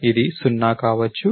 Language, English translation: Telugu, It could be 0